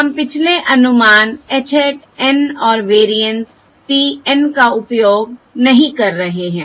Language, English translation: Hindi, all, right, We are not using the previous estimate, h hat N and the variance p of N